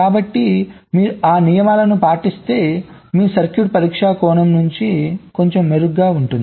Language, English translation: Telugu, so if you follow those rules, then your circuit will be a little better from the testing point of view